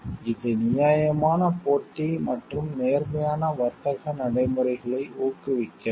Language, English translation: Tamil, It is also promotes it also promotes fair competition and honest trade practices